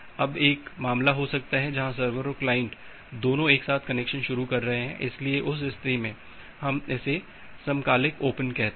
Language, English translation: Hindi, Now, there is there can be 1 case where both the server and the client are initiating the connection together, so in that case that is we call as a simultaneous open